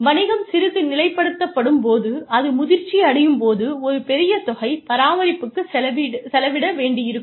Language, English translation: Tamil, When the business stabilizes a little bit, when it becomes mature, a larger amount of money, will go into maintenance